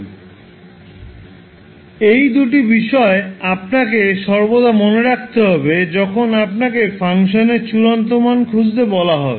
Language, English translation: Bengali, So these two things you have to always keep in mind, when you are asked to find the final value of the function f t that is f infinity